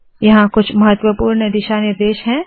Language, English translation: Hindi, There are some important guidelines